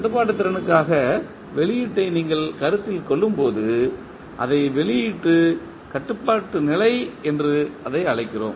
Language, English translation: Tamil, When you consider output for the controllability we call it as output controllability condition